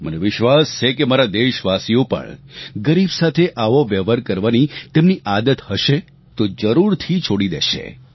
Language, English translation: Gujarati, I am certain that my countrymen, if they are in the habit of behaving in this way with the poor will now stop doing so